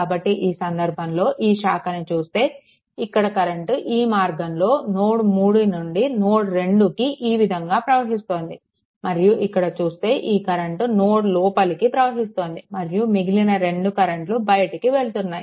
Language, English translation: Telugu, So, in this case that if you say that current is for this branch the current is flowing from node 3 to node 2 say, then it will be your this current is ah entering into the node and other 2 are leaving at node 2